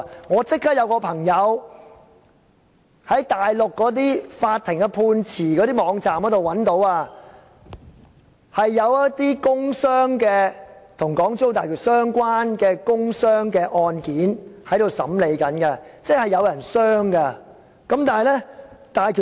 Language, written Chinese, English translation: Cantonese, 我有朋友立即在內地法庭的判詞網頁，找到有一些跟港珠澳大橋相關的工傷案件正在審理當中，意味真的有人因此受傷。, A friend of mine has immediately browsed through the web page on judgments delivered by the Mainland courts and found that court hearings of some industrial injury cases concerning the HZMB project have already been scheduled meaning that there were indeed work injuries during the implementation of the project